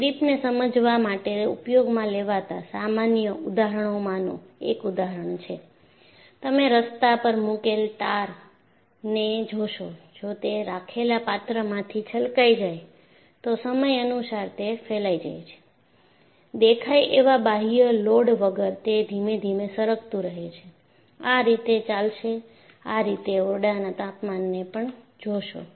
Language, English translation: Gujarati, See, one of the common examples that people would use to explain creep is, you find the tar put on the road, if it spills out of the container that this kept, over a period of time it will spread, without apparent external load, it will keep on creeping slowly, it will move, this you see at room temperature